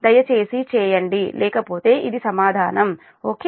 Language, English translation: Telugu, otherwise, this is the answer and right